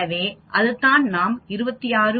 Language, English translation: Tamil, So, that is what we got here 26